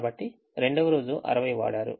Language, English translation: Telugu, so second day: use sixty